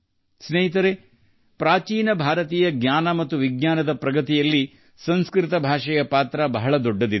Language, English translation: Kannada, Friends, Sanskrit has played a big role in the progress of ancient Indian knowledge and science